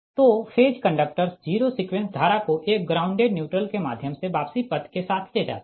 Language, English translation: Hindi, so the phase conductors carry zero sequence current, with written first through a ground neutral, grounded neutral